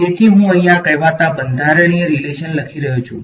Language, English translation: Gujarati, So, I am writing down these so called constitutive relations over here